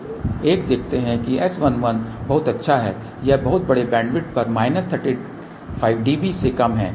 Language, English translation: Hindi, So, one see that S 1 1 is very good it is less than minus 35 db over this very large bandwidth